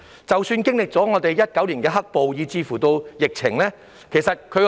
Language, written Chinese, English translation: Cantonese, 即使經歷2019年的"黑暴"及疫情，樓價依然企穩。, Even after the black - clad violence in 2019 and the epidemic property prices have remained steady